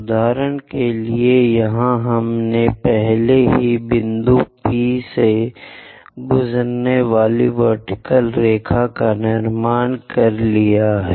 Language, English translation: Hindi, For example, here we have already have constructed a tangent line passing through point P